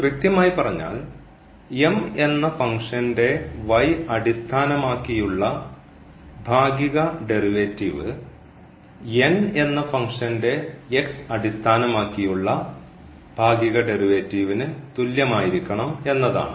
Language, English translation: Malayalam, So, the partial derivative of this function M should be equal to the partial derivative of this function N here